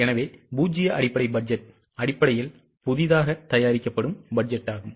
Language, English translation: Tamil, So, zero base budget essentially is a budget which is prepared from scratch